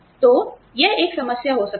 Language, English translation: Hindi, So, that could be a problem